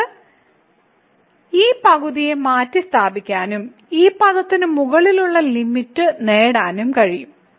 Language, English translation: Malayalam, So, we can replace this half also and get the upper bound for this term